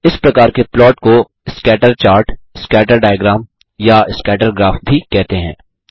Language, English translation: Hindi, This kind of plot is also called a scatter chart, a scatter diagram or a scatter graph